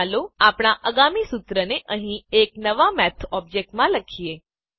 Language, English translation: Gujarati, Let us write our next formula in a new Math object here